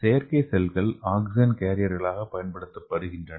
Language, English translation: Tamil, So artificial cells as oxygen carrier